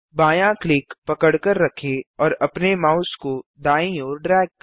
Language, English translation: Hindi, Hold left click and drag your mouse to the right